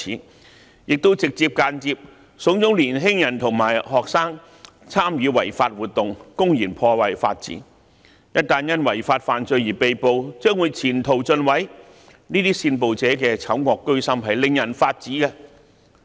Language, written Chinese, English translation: Cantonese, 他們亦直接及間接慫恿年輕人和學生參與違法活動，公然破壞法治，一旦因違法犯罪而被捕，將會前途盡毀，這些煽暴者的醜惡居心令人髮指。, They have directly or indirectly instigated young people and students to participate in unlawful activities and blatantly undermine the rule of law . Considering that the future of these youngsters will be completely ruined once they are arrested for committing these unlawful acts and offences one will be outraged by the evil intentions of the instigators